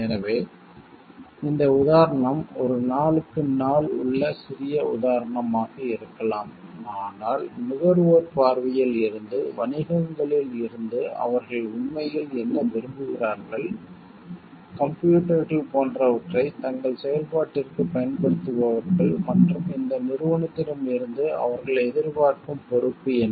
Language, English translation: Tamil, So, this example may be a very day to day small example, but these are important issues for understanding from the viewpoint, from the perspective of the consumer what they really want from the businesses who are using like computers for their ease of their functioning and what is the degree of responsibility they expect from these companies